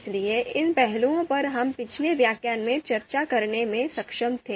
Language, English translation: Hindi, So these aspects we were able we were able to discuss in the previous lecture